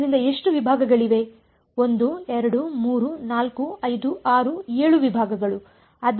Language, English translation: Kannada, So, so how many segments are there 1 2 3 4 5 6 7 segments